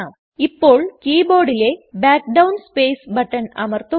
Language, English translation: Malayalam, Now press the Backspace button on the keyboard